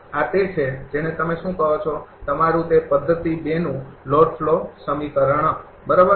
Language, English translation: Gujarati, This is your what you call that your that method 2 load flow equation, right